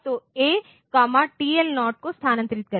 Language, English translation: Hindi, So, so move A comma TL0